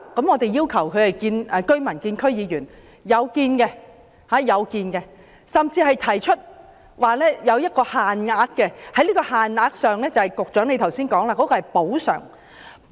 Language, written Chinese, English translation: Cantonese, 我們要求居民與區議員會面，這是有做到的，甚至提出有限額的補償，即局長剛才所說的補償。, We have asked residents to meet with District Council members which was done and even proposed a compensation limit as mentioned by the Secretary just now